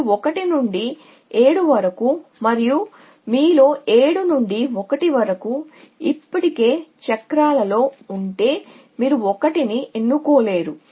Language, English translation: Telugu, If you go for 1 to 7 and from 7 to 1 in you already in cycles so you cannot choose 1